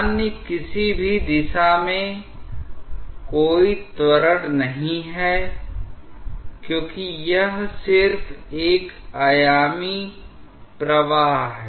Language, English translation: Hindi, There is no acceleration along other any other direction because it is just a one dimensional flow